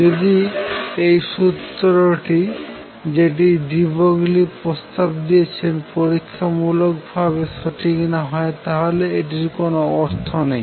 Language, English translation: Bengali, If this formula that de Broglie proposed was not true experimentally, it would have no meaning